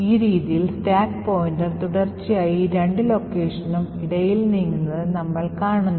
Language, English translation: Malayalam, So, in this way we see that the stack pointer continuously keeps moving between these two locations in an infinite loop